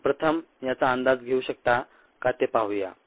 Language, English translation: Marathi, let us see whether you are able to guess this